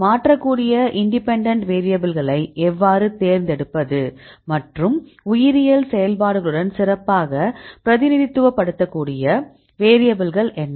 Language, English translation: Tamil, So, the independent variables that you can change; how to select the variables and what are the variables which can better represent with the biological activity